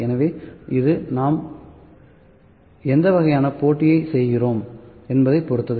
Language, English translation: Tamil, So, it depends upon what type of competition we need to do